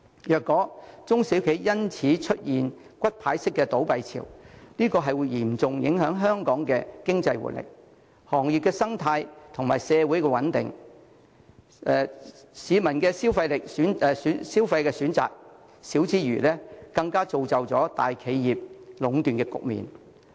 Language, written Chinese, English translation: Cantonese, 若中小企因此出現骨牌式倒閉潮，將會嚴重影響香港的經濟活力、行業生態及社會穩定，市民的消費選擇減少之餘，更會造就大企業壟斷的局面。, If the SMEs consequently close down one after another like dominoes it will seriously affect the economic vitality industrial ecology and social stability in Hong Kong . While members of the public will have fewer choices of consumption monopolization by major enterprises will even come into existence